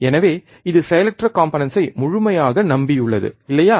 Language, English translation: Tamil, So, it completely relies on the passive components, alright